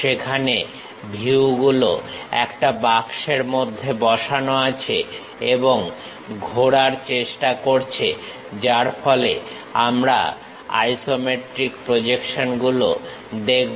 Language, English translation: Bengali, Where the views are embedded in a box and try to rotate so that, we will see isometric projections